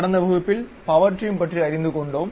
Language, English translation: Tamil, In the last class, we have learned about Power Trim